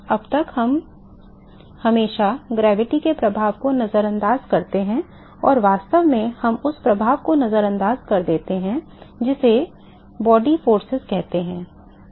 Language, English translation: Hindi, So, so far, we always ignore the effect of gravity and in fact, we ignore the effect what is called the body forces